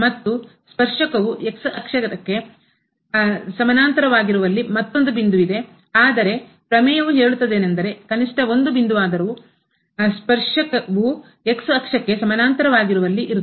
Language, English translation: Kannada, And, there is another point where the tangent is parallel to the , but the theorem says that there will be at least one point where the tangent will be parallel to the